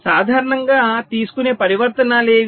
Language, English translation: Telugu, so which are most commonly taken, transitions